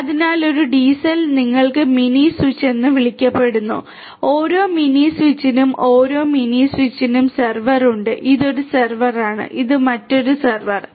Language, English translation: Malayalam, So, in a DCell you have something called the mini switch mini switch and every mini switch has every mini switch has a server, this is a server, this is another server